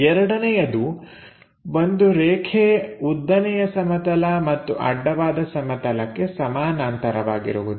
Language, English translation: Kannada, Second one; a line parallel to both vertical plane and horizontal plane